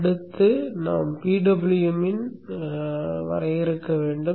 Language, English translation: Tamil, Next we have to define the PWM